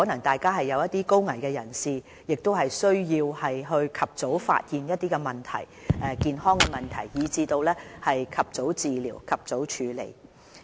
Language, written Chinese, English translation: Cantonese, 第二層是高危人士，他們需要及早發現一些健康問題，以至能及早治療和處理。, The second level takes care of persons at high health risk and in need of early identification and treatment of their health problems